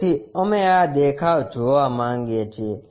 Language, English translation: Gujarati, So, we want to look at from this view